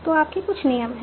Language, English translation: Hindi, So you have certain rules